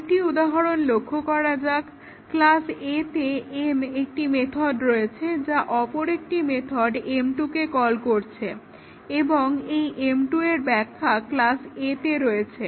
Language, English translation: Bengali, Let us look at another example, a class A had a method m which was in it is body calling another method m 2 and m 2 was also defined in class A